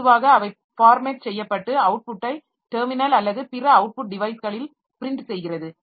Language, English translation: Tamil, Typically, these programs format and print the output to the terminal or other output devices